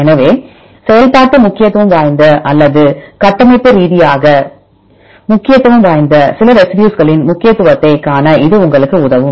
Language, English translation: Tamil, So, this will help you to see the importance of some residues which are functionally important or structurally important